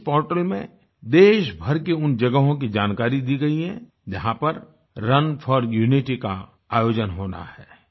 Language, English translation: Hindi, In this portal, information has been provided about the venues where 'Run for Unity' is to be organized across the country